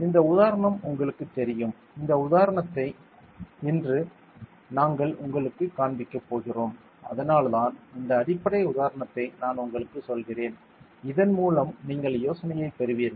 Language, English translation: Tamil, You know this example; this example we will be showing you today that is why I am just telling you this basic example so that you will have the idea